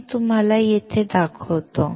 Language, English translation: Marathi, Let me show it to you here